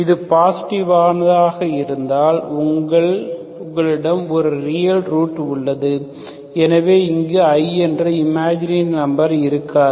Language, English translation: Tamil, If it is positive, you have a real root, so there will not be any imagine a number i if it is positive